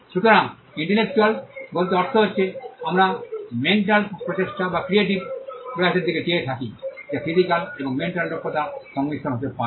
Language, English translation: Bengali, So, intellectual by intellectual we mean, or we are looking at the mental effort or the creative effort, which could be a combination of physical and mental skills